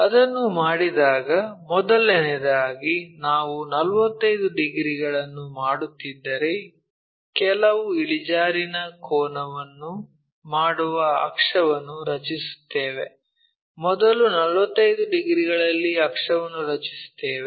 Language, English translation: Kannada, So, when we do that, first of all we draw an axis making certain inclination angle maybe if it is making 45 degrees, at 45 degrees first we draw an axis